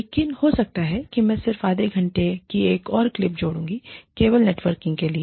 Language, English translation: Hindi, But, maybe, I will just add on, another half an hour clip, only for the networking